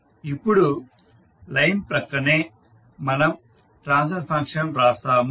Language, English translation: Telugu, Now adjacent to line we write the transfer function